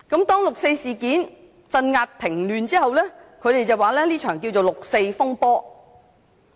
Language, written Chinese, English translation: Cantonese, 當六四事件鎮壓平亂後，中國政府又稱這是一場六四風波。, After the 4 June incident was suppressed the Chinese Government called it the 4 June turmoil